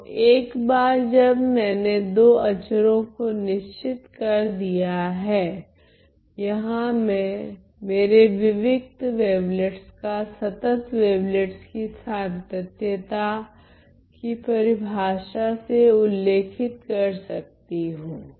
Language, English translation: Hindi, So, once I fixed two constants, I can describe my discrete wavelets using the continuous definition of the continuous wavelets here